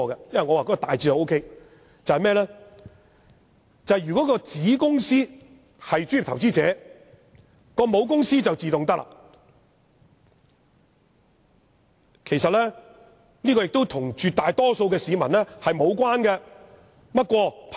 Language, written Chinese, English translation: Cantonese, 我認為修訂大致是可以的，如果子公司是專業投資者，母公司就自動成為專業投資者，這與絕大多數市民無關。, In my view this amendment is generally acceptable . If the subsidiary company is a professional investor the parent company will automatically become a professional investor and this is unrelated to most of the public